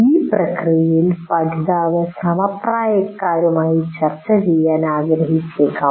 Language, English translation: Malayalam, And in the process you may want to discuss with the peers